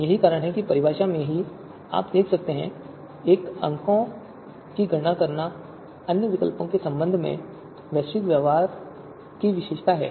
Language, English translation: Hindi, So that is why in the definition itself you see that a score which characterizes its global behaviour with regard to other alternatives